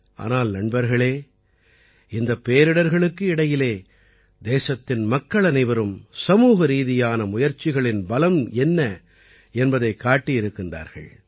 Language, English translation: Tamil, But friends, in the midst of these calamities, all of us countrymen have once again brought to the fore the power of collective effort